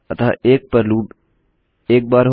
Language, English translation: Hindi, So loop once at 1